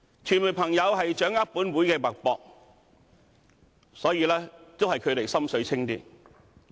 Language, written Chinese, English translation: Cantonese, 傳媒朋友掌握本會的脈搏，所以還是他們"心水清"。, As friends of the media have kept tabs on the pulse of this Council they have a clear picture